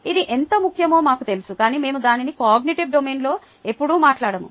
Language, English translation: Telugu, we know how important it is, but we never address it in the cognitive domain